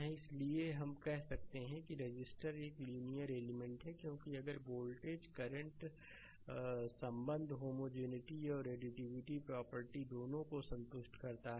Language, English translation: Hindi, So, therefore, we can say that the resistor is a linear element, because if voltage current relationship satisfied both homogeneity and additivity properties right